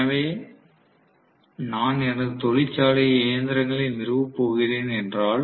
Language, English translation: Tamil, So, if I am going to install machines in my factory